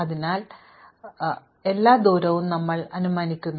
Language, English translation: Malayalam, So, we have assumes all distances that at infinity